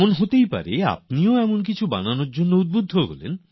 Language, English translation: Bengali, It is possible that you too get inspired to make something like that